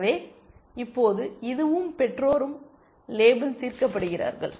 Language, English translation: Tamil, So, now, this and the, parent gets label solved